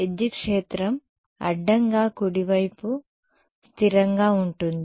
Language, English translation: Telugu, Electric field is transverse right consistently right